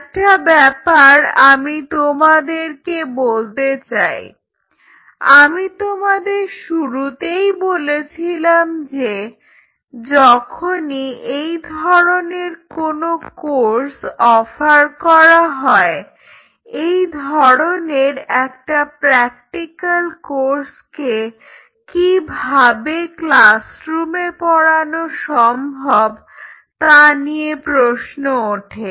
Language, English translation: Bengali, Let me tell you one aspect as I told you in the beginning like whenever you wanted to offer a course like this is the question always come this is a practical course, how you can teach a course like that in the classroom